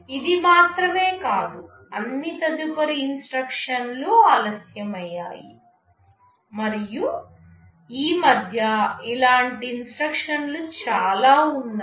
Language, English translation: Telugu, Not only this, all subsequent instructions got delayed and there can be many such instructions like this in between